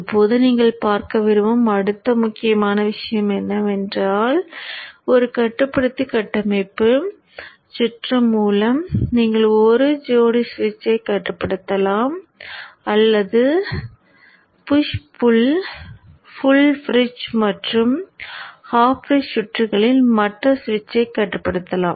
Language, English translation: Tamil, Now the next important point that you would see is that with one control topology circuit you can control one set of switches, either this or in the case of the push pull, full bridge and hop range circuits, you can control the other switch too